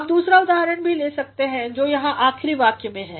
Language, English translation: Hindi, You can take the other example also which is here at the in the last sentence